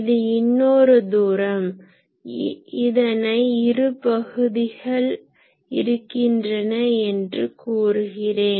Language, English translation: Tamil, So, there is another distance let me call this there are two regions